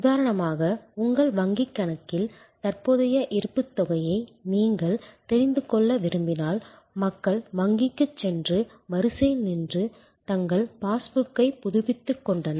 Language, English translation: Tamil, So, for example, if you want to know your current balance at your bank account till very recently people went to the bank and stood in the line and got their passbook updated